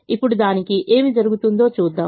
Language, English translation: Telugu, now let us see what happens to that